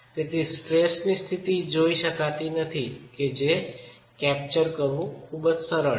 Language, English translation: Gujarati, So, you are not looking at a state of stress that is very easy to capture